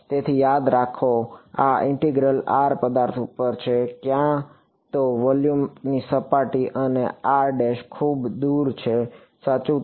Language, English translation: Gujarati, So remember, in this integral r is over the object either surface of volume and r prime is far away correct